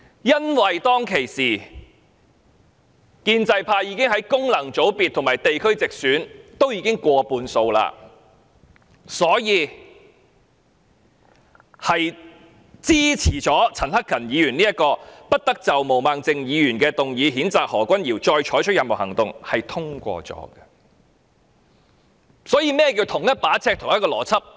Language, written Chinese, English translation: Cantonese, 因為當時建制派已在功能界別和地區直選取得過半數議席，所以支持陳克勤議員這項不得就毛孟靜議員動議譴責何君堯議員的議案再採取任何行動，議案結果獲得通過。, Since pro - establishment Members were the majority in both Functional Constituencies and Geographical Constituencies they voted for Mr CHAN Hak - kans motion to stop further actions from being taken on Ms Claudia MOs censure motion against Dr Junius HO and the motion was passed